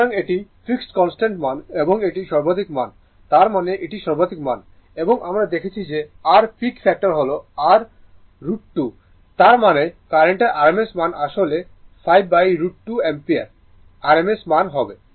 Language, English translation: Bengali, So, this is the fixed value constant value and this is the peak value, the peak value; that means, it is the peak value and we have seen that your peak factor your root 2; that means, the rms value of the current will be actually 5 by root 2 ampere rms value right